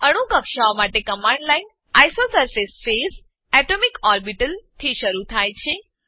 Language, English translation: Gujarati, The command line for atomic orbitals starts with isosurface phase atomicorbital